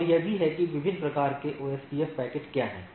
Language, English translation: Hindi, And this is also that what are the different type of OSPF packets